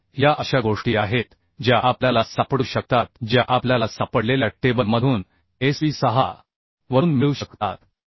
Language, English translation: Marathi, So these are the things which we can found we can find from Sp 6 from the table we can find